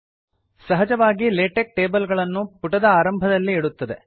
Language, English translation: Kannada, By default, Latex places tables at the top of the page